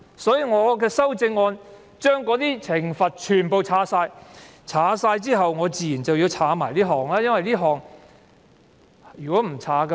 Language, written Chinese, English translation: Cantonese, 所以，我的其他修正案將罰則全部刪除，而這項修正案刪除這款，以保持一致。, For this reason my other amendments seek to delete all penalties and this amendment seeks to delete this subclause for the sake of consistency